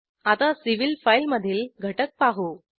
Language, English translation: Marathi, Let us see the content of civil file